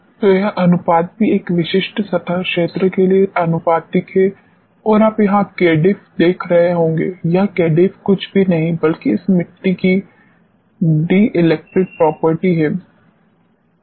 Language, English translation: Hindi, So, this ratio is also directly proportional to a specific surface area and you must be seeing here k difference, this k difference is nothing, but the dielectric property of this soil